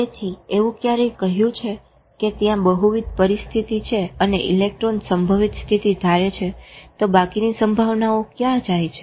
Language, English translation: Gujarati, Now, so every said that if there are multiple possibilities and electron assumes one probability state, where do the rest of the probability go